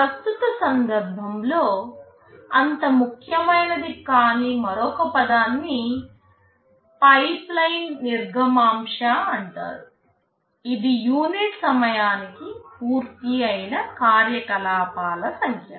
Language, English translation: Telugu, And another term which is of course is not that important in the present context is called pipeline throughput; the number of operations completed per unit time